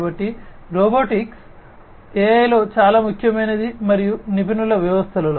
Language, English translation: Telugu, So, the in AI in robotics is very important and in expert systems